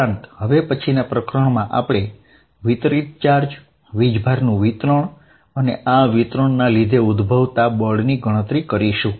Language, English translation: Gujarati, What we are going to do in the next lecture is consider distributed charges, distribution of charges and calculate force due to this distribution